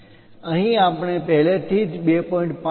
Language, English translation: Gujarati, Here we are showing 2